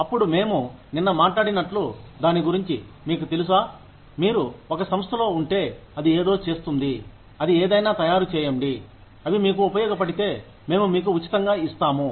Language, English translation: Telugu, Then, as we talked about it yesterday, you know, if you are in an organization, that makes something, that manufacture something, we will give you those things, for free, if they are of use to you